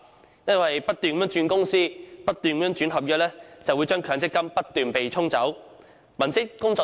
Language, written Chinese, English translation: Cantonese, 正因為他們不斷轉換公司和合約，他們的強積金亦會不斷被對沖。, As they keep changing employers and contracts their benefits in the MPF accounts are offset frequently